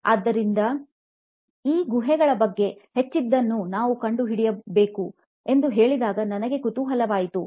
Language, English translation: Kannada, So, I was intrigued when I said okay I need to be finding out more about these caves